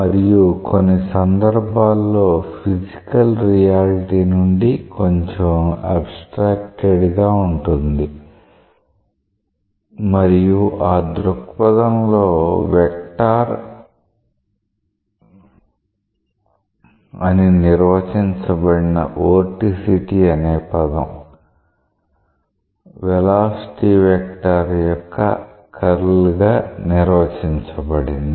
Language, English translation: Telugu, And in certain cases quite a bit abstracted from any physical reality and in that perspective, the term vorticity which was defined as a vector, say it was defined as the curl of the velocity vector